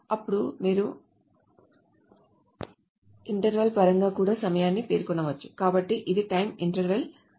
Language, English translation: Telugu, Then there is you can also specify the time in terms of interval